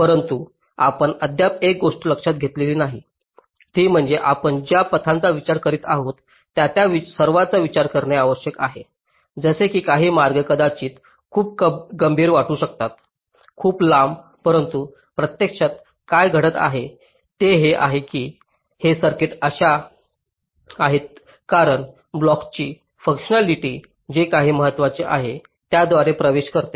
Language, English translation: Marathi, but one thing we did not consider, a z is that the paths that we are considering, are they all actual, important to consider, like there may be some paths which may look to be very critical, very long, but what may it happening in practice is that this circuits are such that, because the functionality of the blocks, gates, whatever, that is important, ok